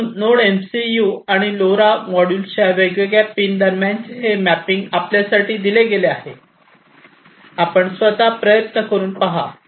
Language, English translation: Marathi, So, over here this mapping between the different pins of this Node MCU and the LoRa module are given for you, you can try it out yourselves